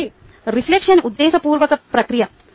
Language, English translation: Telugu, so reflection is a deliberate process